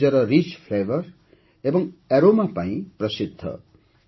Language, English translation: Odia, It is known for its rich flavour and aroma